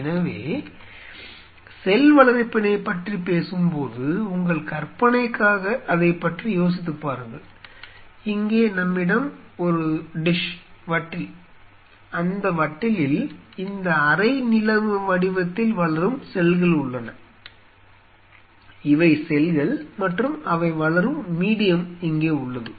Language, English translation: Tamil, So, when we talk about cell culture just for your imagination sake, think of it, here we have a dish and, in that dish, we have the cells which are growing this half moon shaped; these are the cells and here you have the medium in which they are growing